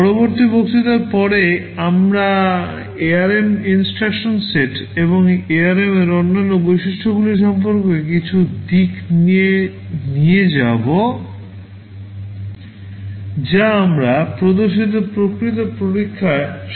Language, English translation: Bengali, From the next lecture onwards, we shall be moving on to some aspects about the ARM instruction set and other features of ARM that will be helpful in the actual experimentation that we shall be showing